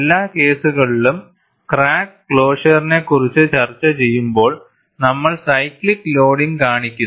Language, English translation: Malayalam, In every case, discussing on crack closure, we show the cyclical loading